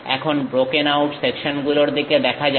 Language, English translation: Bengali, Now, let us look at broken out sections